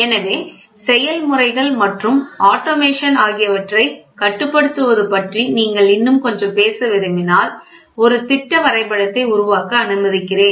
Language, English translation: Tamil, So, if you want to talk little bit more about control of processes and automation let me make a schematic diagram